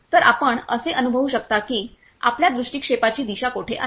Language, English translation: Marathi, So, you can feel that whenever where is your gaze direction